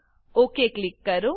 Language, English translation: Gujarati, and Click OK